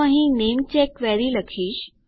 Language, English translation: Gujarati, So I will say namecheck query here